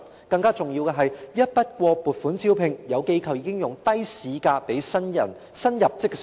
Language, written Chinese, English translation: Cantonese, 更重要的是，按一筆過撥款，有機構已經用低於市價的薪酬招聘新入職社工。, More importantly given the lump - sum grant some organizations have already recruited new social workers with pay below the market rate